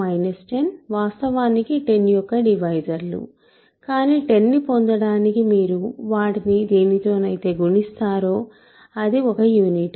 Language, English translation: Telugu, So, 10 and minus 10 are actually divisors of 10, but the what you multiply them with to get 10 is a unit